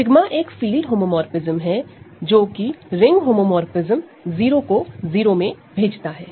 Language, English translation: Hindi, Sigma being a field homomorphism which is a ring homomorphism sends 0 to 0